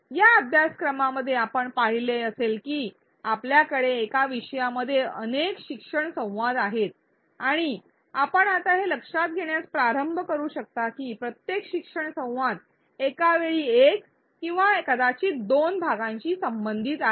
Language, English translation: Marathi, In this course you would have seen that we have several learning dialogues even in one topic and you can start noticing this now that each learning dialogue deals with one or maybe two chunks at a time